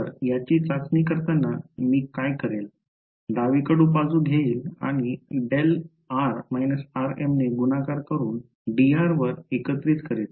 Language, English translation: Marathi, So, in testing what will I do I will take this left hand side and multiplied by delta of r minus r m and integrate over d r